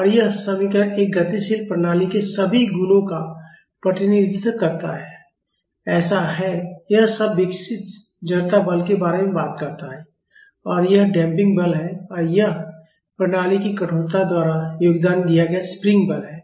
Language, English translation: Hindi, And, this equation represents all properties of a dynamic system it is so, this term talks about the inertia force developed and this is the damping force and this is the spring force contributed by the stiffness of the system